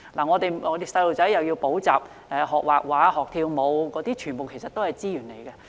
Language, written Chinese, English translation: Cantonese, 我們的子女要補習、學繪畫、學跳舞等，全部需要資源。, Our children have to attend tuition drawing and dance classes etc